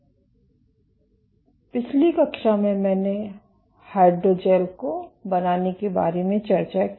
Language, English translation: Hindi, So, in the last class I started discussing about how to go about fabricating hydrogels